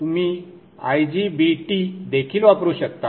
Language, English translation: Marathi, You can also use the IGBT